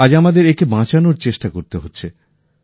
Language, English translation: Bengali, Today we are required to make efforts to save it